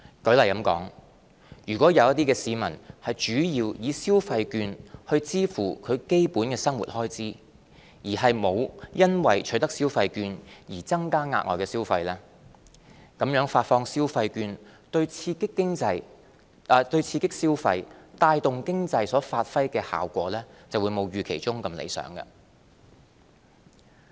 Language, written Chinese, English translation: Cantonese, 舉例說，如果有些市民主要以消費券去支付基本生活開支，而沒有因為取得消費券而增加額外消費，那麼發放消費券對刺激消費、帶動經濟所發揮的效果就會沒有預期中那樣理想。, For example if some people use consumption vouchers mainly for meeting their basic living expenses rather than on additional consumption the effect on boosting consumption and stimulating the economy may not meet the expectation